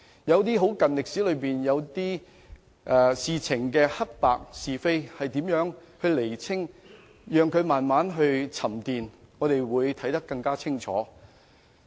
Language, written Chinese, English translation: Cantonese, 有些近代歷史事件，黑白是非應如何釐清，可能要讓它們慢慢沉澱，才看得更清楚。, Regarding some contemporary historical events how should right and wrong be determined it may take time for things to settle before the truth can be revealed more clearly